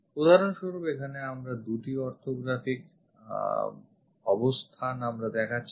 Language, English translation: Bengali, For example, here two orthographic projections we are showing